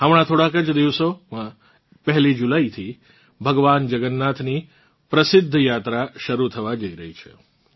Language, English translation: Gujarati, In just a few days from now on the 1st of July, the famous journey of Lord Jagannath is going to commence